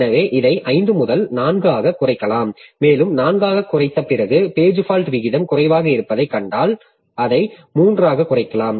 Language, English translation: Tamil, And even after reducing to 4, if we find that the page fault rate is low, so we can even cut it down to 3